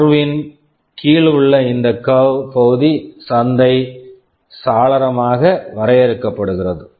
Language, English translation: Tamil, This curve area under the curve is defined as the market window